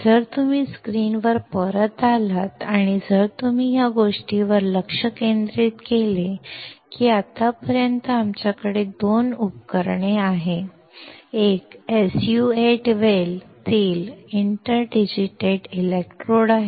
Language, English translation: Marathi, If you come back on the screen and if you focus the thing that until now we have that there are 2 devices; one is an inter digitated electrodes in an SU 8 well